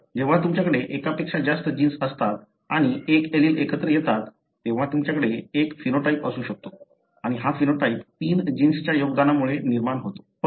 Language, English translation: Marathi, So, when you have more than one gene and one of the allele come together, you may have a phenotype and this phenotype is resulting from the contribution from three genes